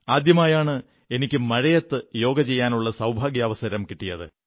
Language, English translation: Malayalam, But I also had the good fortune to practice Yoga in the rain for the first time